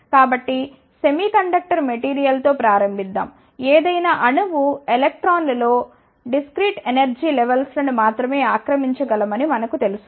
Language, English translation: Telugu, So, let us start with semiconductor material, we know in any atom electrons can occupy only discrete energy levels